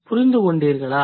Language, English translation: Tamil, Could you understand